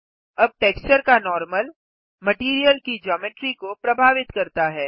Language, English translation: Hindi, Now the Normal of the texture influences the Geometry of the Material